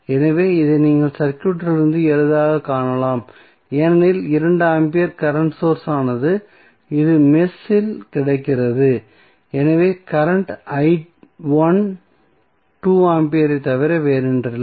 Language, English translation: Tamil, So, this you can easily see from the circuit because 2 ampere is the current source which is available in the mesh so the current i 1 was nothing but 2 ampere